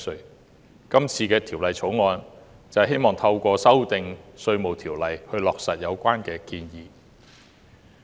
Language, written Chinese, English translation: Cantonese, 今次的《2019年稅務條例草案》希望透過修訂《稅務條例》，落實有關建議。, The Inland Revenue Amendment Bill 2019 the Bill seeks to implement the relevant proposal by amending the Inland Revenue Ordinance